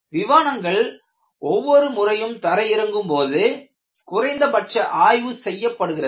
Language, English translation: Tamil, And in fact, for aircrafts, when they land, every time they land, they do certain minimal inspection